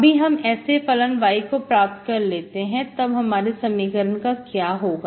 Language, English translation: Hindi, If I look for such a function of y, what happens to your equation